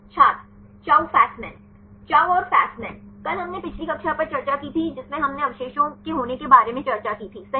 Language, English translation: Hindi, Chou Fasman Chou and Fasman, yesterday we discussed the previous class we discussed about the propensity of residues right